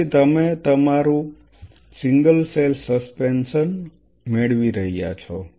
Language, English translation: Gujarati, So, what you are getting our single cell suspension